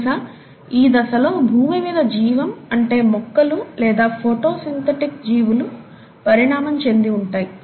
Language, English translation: Telugu, And it's at this stage, we believe in earth’s life that the plants or the photosynthetic organisms must have evolved